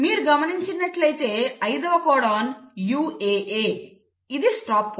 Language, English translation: Telugu, If you notice the fifth codon is a UAA which is nothing but the stop codon